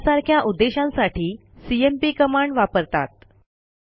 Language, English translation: Marathi, For these and many other purposes we can use the cmp command